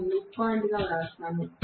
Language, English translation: Telugu, Let me write this as the midpoint